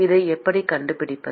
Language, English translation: Tamil, how do we find that